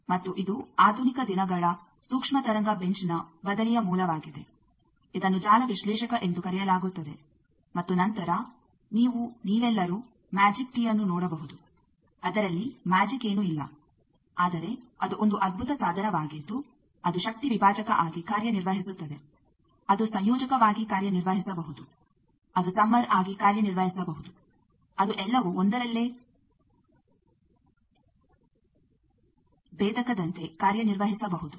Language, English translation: Kannada, And this is the basis of modern days replacement of this microwave bench which is called network analyzer and then you can all see a magic tee, there is nothing magic, but it is a wonderful device it can act as a power divider, it can act as a combiner, it can act as a summer, it can act as a differentiator all in one